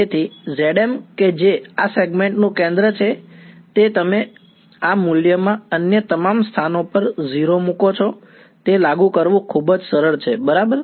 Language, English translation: Gujarati, So, that z m which is the centre of this segment you put in this value all other places you put 0 that is it very simple to apply ok